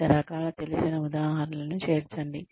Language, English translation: Telugu, Include a variety of familiar examples